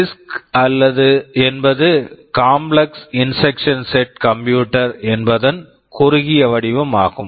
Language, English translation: Tamil, CISC is the short form for Complex Instruction Set Computer